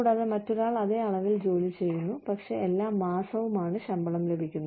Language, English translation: Malayalam, And, somebody else is putting the same amount of work, but is getting paid every month